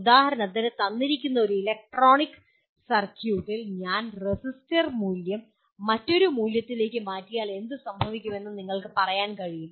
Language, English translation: Malayalam, For example in a given electronic circuit you can say if I change the resistor value to another value what happens